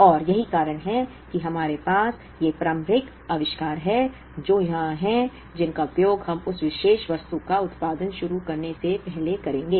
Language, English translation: Hindi, And that is the reason we have these initial inventories which are here, which we will be using before we start producing that particular item